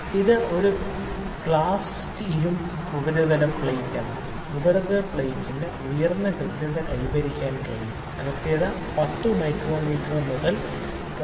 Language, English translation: Malayalam, So, this is a cast iron surface plate the surface plate can have high accuracy the accuracy can be 10 micrometer to 0